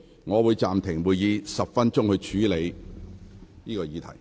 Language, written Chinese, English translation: Cantonese, 我會暫停會議10分鐘，以處理有關事宜。, I will suspend the meeting for 10 minutes to deal with this matter